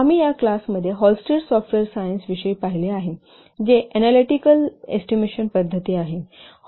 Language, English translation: Marathi, You have seen in this class about Hullstery software science which is an analytical estimation method